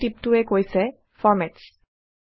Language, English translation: Assamese, The tooltip here says Formats